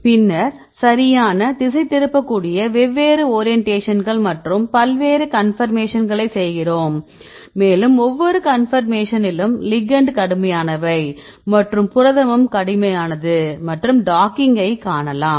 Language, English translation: Tamil, Then the ligand we make different orientations and different conformations you can make right and for each conformation right we can treat ligand as is they also rigid and the protein also rigid and you can see the docking